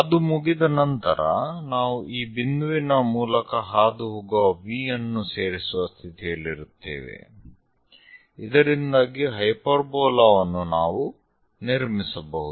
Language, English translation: Kannada, Once it is done, we will be in a position to join V all the way passing through this point, so that a hyperbola we will be in a position to construct